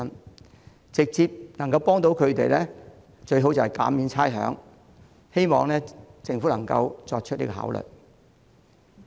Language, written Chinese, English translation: Cantonese, 能直接協助他們的最佳方法是減免差餉，希望政府能夠予以考慮。, The best way to give them direct assistance is rates concession which I hope the Government can consider